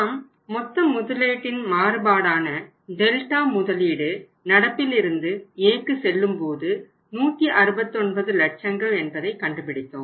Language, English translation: Tamil, And we found out that the total investment change Delta investment from current to A will be 169 lakhs right